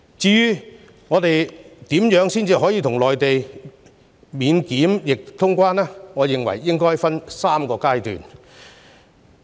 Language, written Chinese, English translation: Cantonese, 至於我們如何與內地達致免檢疫通關，我認為可分3個階段。, In making quarantine - free traveller clearance arrangement with the Mainland I think this can be implemented by three phases